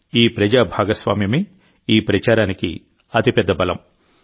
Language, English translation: Telugu, This public participation is the biggest strength of this campaign